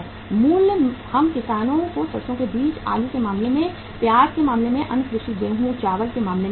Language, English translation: Hindi, Price we pay to the farmers in case of mustard seed, in case of potato, in case of onion, in case of other agricultural wheat, rice